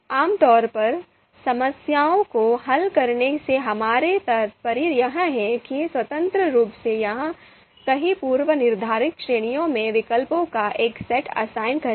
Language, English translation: Hindi, So typically we mean is what we mean is that to independently assign a set of alternatives into one or several predefined category predefined categories